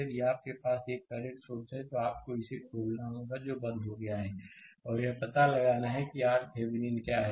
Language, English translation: Hindi, If you have a current source, you have to open it that is turned off and find out what is R Thevenin, right